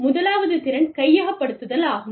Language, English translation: Tamil, The first is competence acquisition